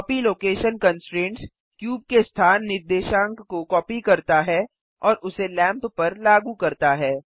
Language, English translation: Hindi, The copy location constraint copies the location coordinates of the cube and applies it to the lamp